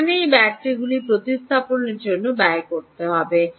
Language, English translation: Bengali, what is the cost of replacement of these batteries